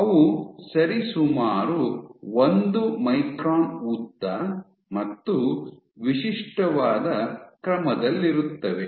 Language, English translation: Kannada, So, they are roughly order one micron in size in length and the typical